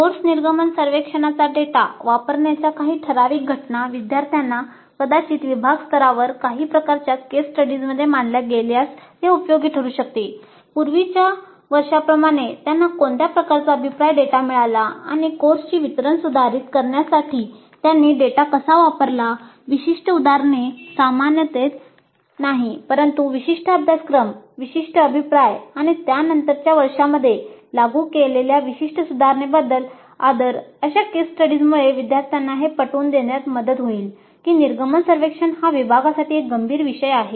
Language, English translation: Marathi, It may also be helpful if some typical instances of good use of course exit survey data are presented to the students, perhaps at the department level, Some kinds of case studies, like in the earlier years what kind of feedback data they got and how they used that data to improve the delivery of the course, specific examples, not in generalities but with respect to a specific course, specific feedback and specific improvements that have been implemented in subsequent years